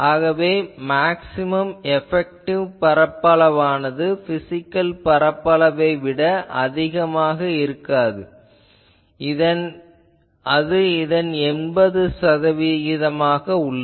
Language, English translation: Tamil, So, I need to give the penalty that maximum effective area cannot be more than the physical area it is 80 percent of these